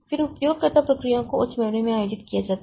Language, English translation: Hindi, Then user processes are held in high memory